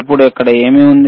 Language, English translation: Telugu, What is here now